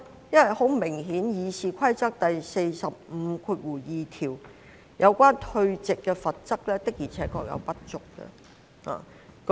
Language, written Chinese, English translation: Cantonese, 因為《議事規則》第452條所訂有關退席的罰則確實顯然不足。, It is because the withdrawal sanction under Rule 452 of the Rules of Procedure is obviously inadequate indeed